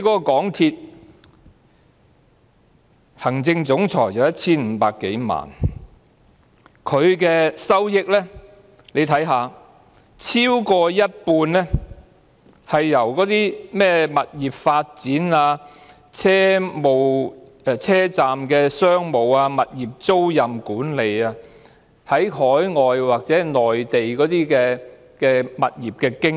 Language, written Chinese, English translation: Cantonese, 港鐵行政總裁年薪 1,500 多萬元，而港鐵的收益超過一半是來自物業發展、車站商務、物業租賃管理、海外或內地的物業經營。, The Chief Executive Officer of MTRCL earns an annual salary of over 15 million . And MTRCL derives over half of its revenue from property development station retail property leasing and management overseas or Mainland property operation